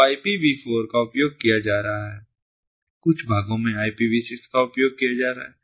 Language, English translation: Hindi, so ipv four is being used, some parts, ipv six being used